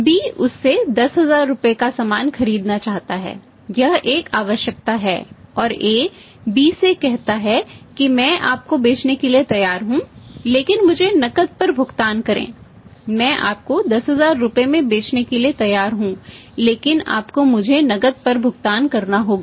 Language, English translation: Hindi, B wants to buy goods worth rupees 10000 from goods worth rupees 1000 from this, this 10000 from this, this is a requirement and A says to B that I am ready to sell you but pay me on cash, I am ready to sell you for 10000 rupees but you have to pay me on cash